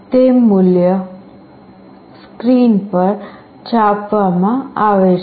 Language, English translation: Gujarati, The value gets printed on the screen